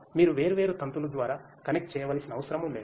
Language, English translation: Telugu, You do not have to connect through the different cables